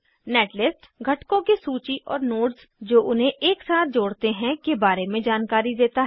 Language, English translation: Hindi, Netlist gives information about list of components and nodes that connects them together